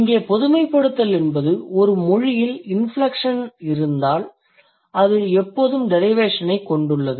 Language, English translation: Tamil, So the generalization here is if a language has inflection, it always has derivation